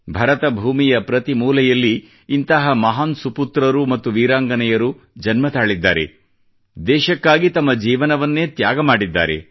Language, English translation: Kannada, In every corner of this land, Bharatbhoomi, great sons and brave daughters were born who gave up their lives for the nation